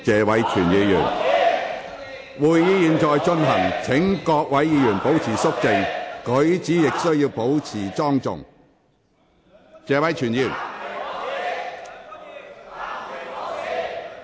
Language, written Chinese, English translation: Cantonese, 會議現正進行中，請各位議員肅靜，舉止亦須保持莊重。, The meeting is in progress . Will Members please keep quiet and act with decorum